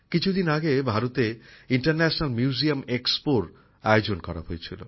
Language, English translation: Bengali, A few days ago the International Museum Expo was also organized in India